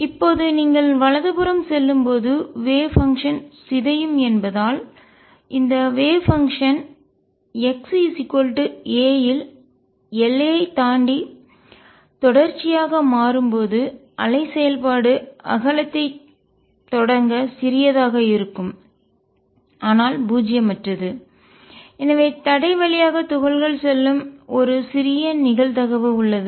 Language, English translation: Tamil, Now since the wave function decay is as you go to the right, this wave function when it becomes continuous across boundary at x equals a would be small to start width, but non zero and therefore, there is a small probability that the particle goes through the barrier